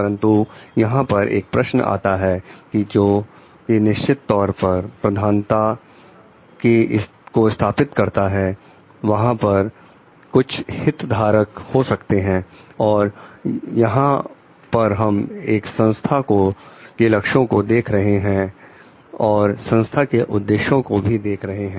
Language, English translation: Hindi, But, here one question may come which is definitely of priority setting there are there will be stakeholders and here we see organizational goal and the objectives of the organization